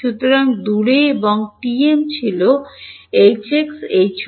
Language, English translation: Bengali, So, far and TM was H x